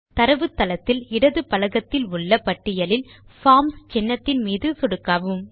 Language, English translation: Tamil, We will click on the Forms icon in the database list on the left panel